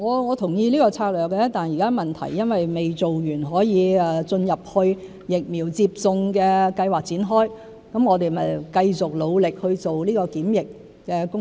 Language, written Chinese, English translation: Cantonese, 我同意這個策略，但現在問題是還未進入疫苗接種計劃可以展開的階段，因此我們繼續努力去做檢測的工作。, While I agree to this strategy the current problem is that we have yet to enter the stage where the vaccination scheme can be rolled out and so we have to keep up the efforts to conduct testing